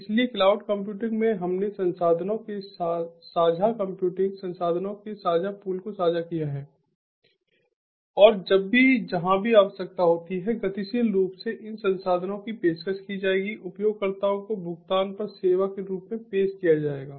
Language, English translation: Hindi, so in cloud computing we have shared pool of configurable computing resources, shared pool of resources, and whenever it is required, wherever it is required dynamically, these resources will be offered, will be offered to the users as service on payment